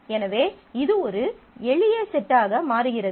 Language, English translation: Tamil, So, it becomes a simpler set